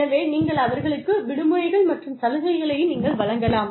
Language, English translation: Tamil, So, you can give them, vacations and benefits